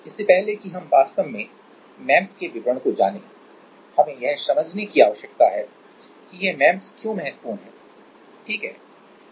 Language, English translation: Hindi, Before we go to actually the details of MEMS what we need to understand that why this is important, why MEMS are important, right